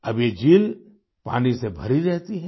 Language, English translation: Hindi, Now this lake remains filled with water